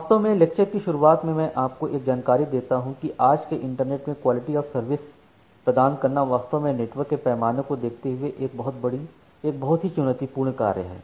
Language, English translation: Hindi, Indeed in the beginning of the lecture let me give you an information that, in today’s internet providing quality of service is indeed a very challenging task considering the scale of the network